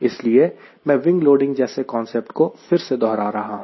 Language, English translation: Hindi, that is why i am revising few concepts like wing loading, etcetera